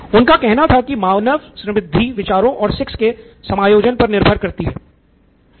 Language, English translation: Hindi, He says human prosperity depends upon ideas having sex combining together